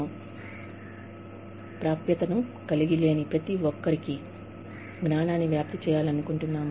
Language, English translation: Telugu, We want to spread knowledge, to everybody, who had does not have access to good quality, knowledge and information